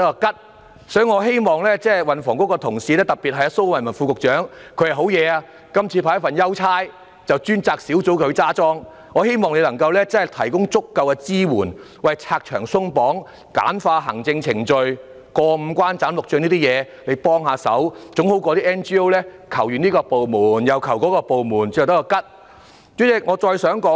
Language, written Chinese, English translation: Cantonese, 因此，我希望運輸及房屋局的同事，特別是蘇偉文副局長——他還真厲害，這次獲派一份優差，即負責統籌專責小組——我希望他提供足夠的支援，拆牆鬆綁、簡化行政程序，幫忙解決要"過五關、斬六將"的程序，總勝於 NGO 向多個部門請求後也只得一場空。, Therefore I hope that the colleagues in the Transport and Housing Bureau especially the Under Secretary Dr Raymond SO―He is so remarkable this time he is assigned with an easy job ie . taking charge of the Task Force―I hope that he could provide adequate support remove the barriers and relax the restrictions simplify its administrative procedures and help to solve the lengthy and demanding procedures . Anyway it will be better than having NGOs making requests to several departments but just in vain